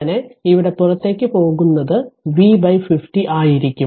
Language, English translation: Malayalam, So, here it is V by 50